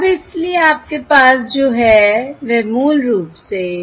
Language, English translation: Hindi, So now that completes it basically